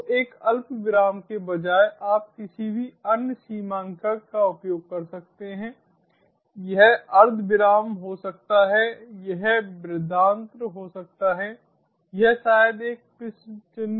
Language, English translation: Hindi, so instead of a comma, you can use any other delimiter: it may be a semicolon, it maybe colon, it maybe even a question mark better avoided, but still so